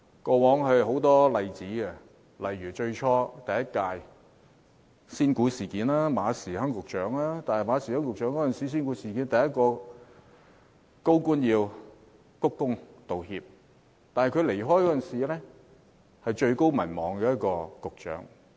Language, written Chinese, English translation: Cantonese, 過往有很多例子，例如第一屆特區政府的"仙股事件"，馬時亨局長是第一個鞠躬道歉的高官，但他離任時是民望最高的一位局長。, There are many such examples in the past . For example in the penny stock incident that happened during the first term of the SAR Government Secretary Frederick MA was the first senior official to bow and apologize yet he had the highest approval rating when he left office